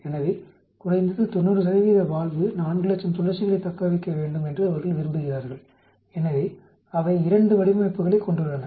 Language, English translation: Tamil, So they want to have at least 90 percent of the valve should survive 400,000 cycles, so they have 2 designs